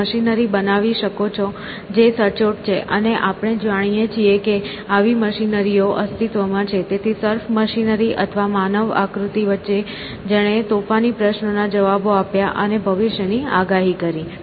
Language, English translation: Gujarati, You can construct machinery which is accurate, and we know that such machinery exist, so between surf machinery and a human figure that answered naughty questions and foretold the future